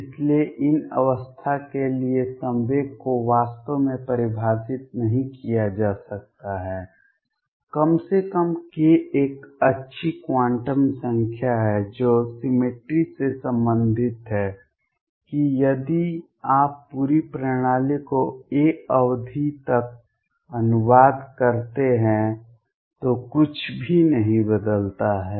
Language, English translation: Hindi, So, momentum cannot really be defined for these states none the less k is a good quantum number which is related to the cemetery that if you translate the whole system by the period a nothing changes